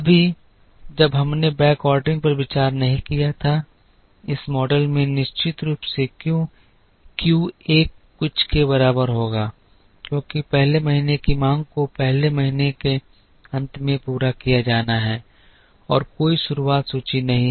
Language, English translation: Hindi, Right now when we did not consider backordering, this model will definitely have Q 1 equal to something because the first month’s demand has to be met at the end of the first month, and there is no beginning inventory